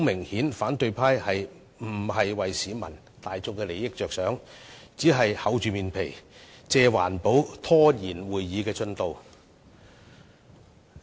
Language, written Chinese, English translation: Cantonese, 顯然，反對派議員並非為市民大眾的利益着想，只是厚着臉皮，借環保拖延會議的進度。, Obviously instead of showing concern about peoples interests the opposition Members merely wish to delay the progress of our meeting by exploiting this issue concerning environmental protection with a shameless face